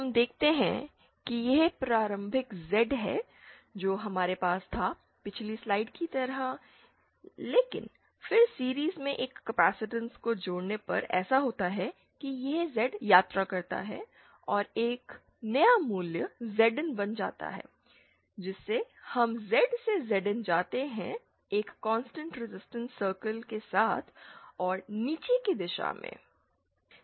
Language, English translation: Hindi, we see that this is the initial Z that we had, just like in the previous slide but then on connecting a capacitance in series what happens is that this Z travels and becomes a new value Zin and the locus that we travel when we move from Z to Zin is along a constant resistance circle and in a downward direction